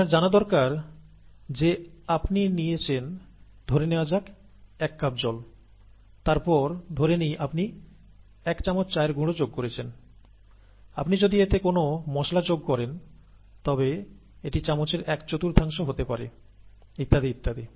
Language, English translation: Bengali, You need to know that you take, let us say, a cup of water, then you add, let us say, a teaspoon of tea powder, and if you are adding any masala to it, may be about a quarter teaspoon of it and so on and so forth